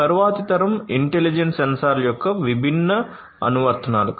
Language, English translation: Telugu, These are some of these different applications of these next generation intelligent sensors